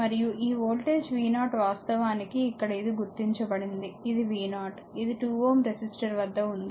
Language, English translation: Telugu, And this voltage v 0 actually here it is here it is marked, this is your v 0, this is across your 2 ohm ah 2 ohm resistor, right